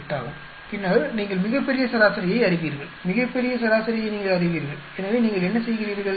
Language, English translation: Tamil, 8 and then you know the grand average, you know the grand average, so what do you do